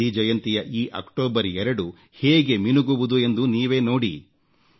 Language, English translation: Kannada, You will see how the Gandhi Jayanti of this 2nd October shines